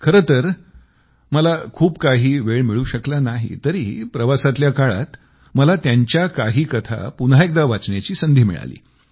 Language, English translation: Marathi, Of course, I couldn't get much time, but during my travelling, I got an opportunity to read some of his short stories once again